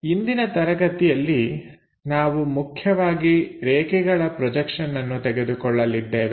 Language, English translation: Kannada, In today's lecture we will mainly cover about line projections